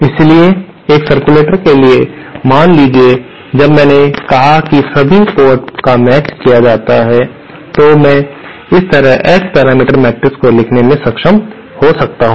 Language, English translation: Hindi, So, for a circulator, suppose since I said all the ports are matched, I might be able to write the S parameter matrix like this